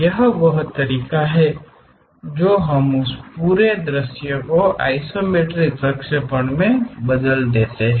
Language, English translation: Hindi, This is the way we transform that entire front view into isometric projections